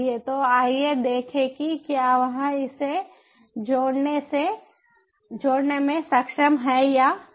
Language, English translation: Hindi, so lets check if it is able to connect it or not